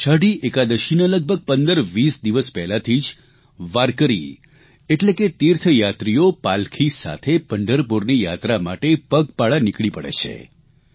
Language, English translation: Gujarati, About 1520 days before Ashadhi Ekadashi warkari or pilgrims start the Pandharpur Yatra on foot